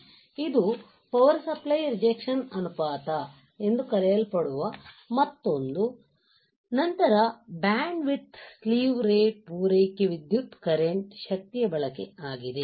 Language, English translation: Kannada, This is another called power supply rejection ratio then bandwidth right slew rate supply current power consumption